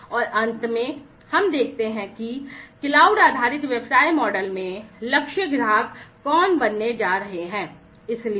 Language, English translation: Hindi, And finally, let us look at who are going to be the target customers in the cloud based business model